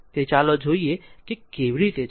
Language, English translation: Gujarati, So, let us see how is it